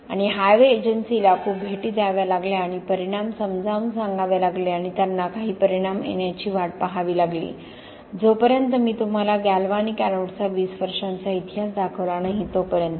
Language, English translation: Marathi, And it took a lot of visits to Highways Agency and explaining and showing results and they had to wait for some results to occur, unless I showed to you we had a 20 year history of galvanic anodes being